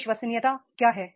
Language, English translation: Hindi, What is the credibility